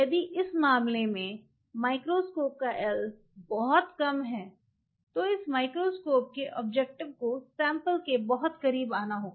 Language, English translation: Hindi, This l this micro microscope in this case if it is a very small l and this microscope objective has to come very close to the sample